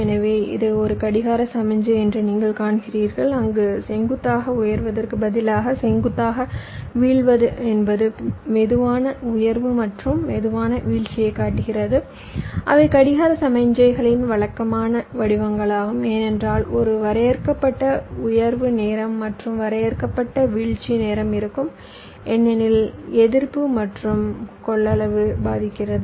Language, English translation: Tamil, so you see, this is a clock signal, so where, instead of ideal, vertically rising, vertically falling were showing slow rise and slow fall, which are the typical shapes of the clock signals, because there will be a finite rise time and finite falls time because of resistive and capacity affects, and the actual clock